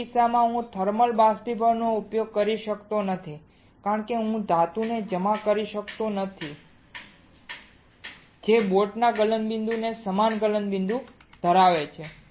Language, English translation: Gujarati, In that case Icannot use thermal evaporater because I cannot deposit the metal which has a melting point similar to the melting point of boat